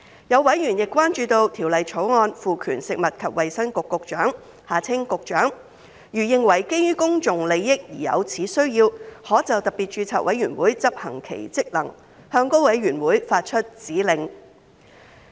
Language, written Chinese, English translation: Cantonese, 有委員亦關注到《條例草案》賦權食物及衞生局局長，如認為基於公眾利益而有此需要，可就特別註冊委員會執行其職能，向該委員會發出指令。, Some members are also concerned that under the Bill the Secretary for Food and Health will be conferred with power to issue to SRC directives about its performance of functions if heshe considers the public interest so requires